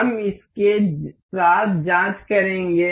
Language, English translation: Hindi, We will check with this